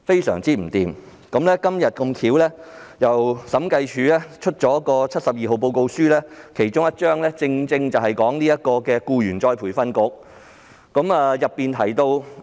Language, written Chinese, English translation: Cantonese, 審計署今天發表了審計署署長第七十四號報告書，其中一個篇章正正關乎僱員再培訓局。, Today the Audit Commission published the Director of Audits Report No . 74 . One of its chapters is precisely dedicated to the Employees Retraining Board ERB